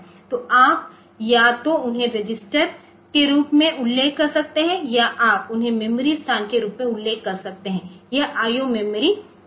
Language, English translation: Hindi, So, you can either mention them as register or you can mention them as memory location so, this I O memory part